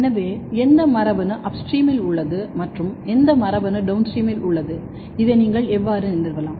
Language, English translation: Tamil, So, which gene is upstream and which gene is downstream and how you can establish this